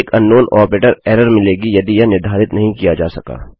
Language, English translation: Hindi, An unknown operator error will be given if it cant be determined